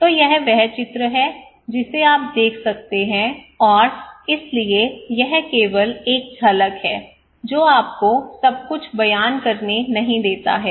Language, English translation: Hindi, So this is the diagram you can see and so this is just a glimpse to give you not to narrate everything